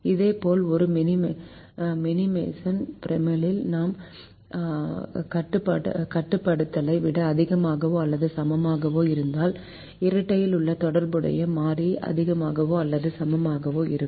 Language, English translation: Tamil, similarly, if i have a greater than or equal to constraint in a minimization primal, then the corresponding variable in the dual will be greater than or equal to